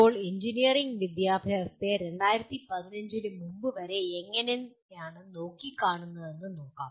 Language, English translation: Malayalam, Now, let us look at how is the engineering education is looked at until recently that is prior to 2015